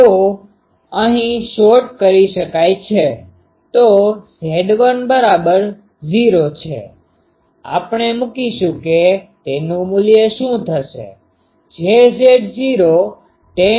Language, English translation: Gujarati, So here, this is shorted here, so Z l equal to 0, if we put that what will be the value; j Z not tan k not l by 2 ok